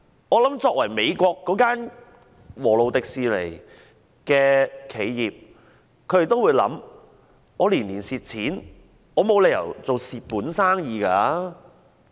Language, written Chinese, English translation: Cantonese, 我估計美國華特迪士尼公司也會考量，沒理由做虧本生意吧？, I think The Walt Disney Company does not want to do a loss - making business